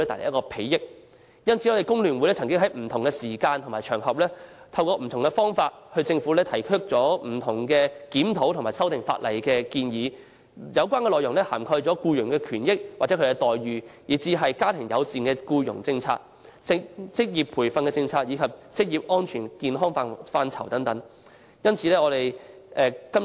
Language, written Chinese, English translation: Cantonese, 有見及此，工聯會已在不同時間和場合，透過不同方法向政府提出不同檢討和修訂法例的建議，有關內容涵蓋僱員權益與待遇，家庭友善僱傭政策、職業培訓政策及職業安全健康範疇等。, In view of this FTU has through different ways at different times and on different occasions made various proposals for reviewing and amending the legislation to the Government . The relevant contents cover such areas as employees rights interests and remunerations family - friendly employment policy vocational training policy occupational safety and health etc